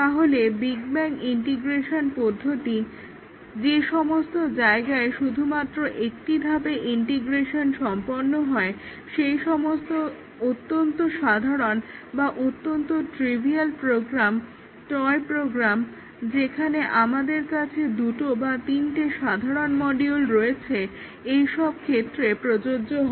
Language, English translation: Bengali, So, the big bang integration testing where the integration is done in just one step is applicable to only very trivial programs, toy programs where we have just two or three modules, simple modules